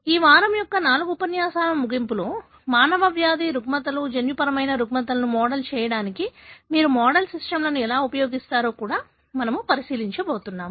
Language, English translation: Telugu, So, we are going to, towards the end of the, 4 lectures of this week, we are going to look into, also how you will use model systems to model human disease, disorders, genetic disorders